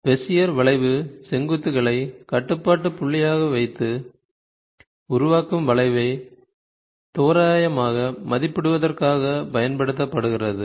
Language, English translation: Tamil, So, Bezier curve uses a vertices as a control point for approximating the generating curve